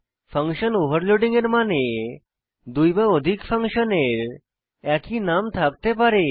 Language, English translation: Bengali, Function Overloading means two or more functions can have same name